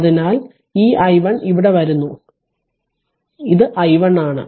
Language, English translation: Malayalam, So, this i 1 is coming here this is your i 1